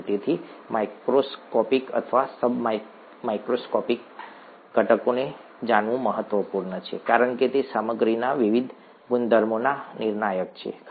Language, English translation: Gujarati, Therefore, it is important to know the microscopic or the sub microscopic components because they are the determinants of the various properties of materials, right